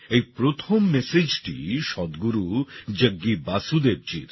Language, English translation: Bengali, The first message is from Sadhguru Jaggi Vasudev ji